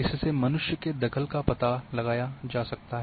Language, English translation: Hindi, It provides a check on human intrusion